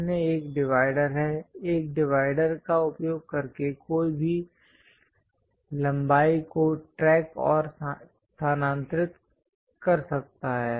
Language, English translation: Hindi, The other one is divider, using divider, one can track and transfer lengths